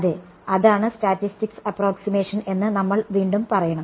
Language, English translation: Malayalam, Yeah, well that is again should we say that is the statics approximation